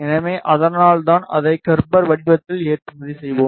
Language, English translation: Tamil, So, that is why we will be exporting it in Gerber format